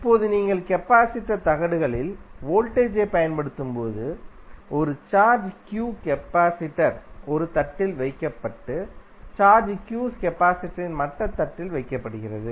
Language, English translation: Tamil, Now, when u apply voltage v across the plates of the capacitor a charge q is deposited on 1 plate of the capacitor and charge minus q is deposited on the other plate of the capacitor